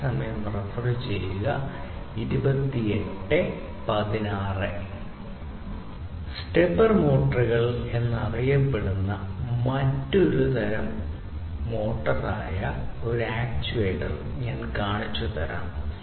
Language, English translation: Malayalam, And let me show you another actuator which is basically another type of motor which is known as the stepper motor